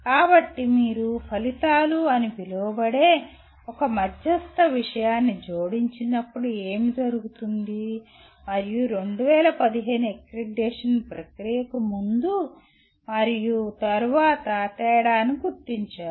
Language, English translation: Telugu, So what happens you introduced one intermediary thing called outcomes and their attainment which differentiated pre and post 2015 accreditation process